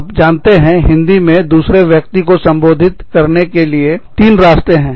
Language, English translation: Hindi, You know, in Hindi, we have three ways of addressing, the other person